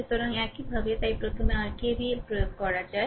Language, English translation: Bengali, So, this way so, what you can do is first you apply your KVL like this